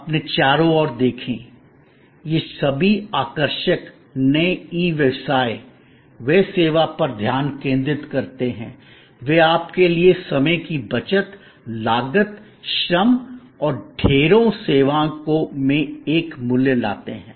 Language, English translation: Hindi, Look around you, all these fascinating new e businesses, they focus on service, they bring to you a value in terms of savings of time, cost, labour and a plethora of services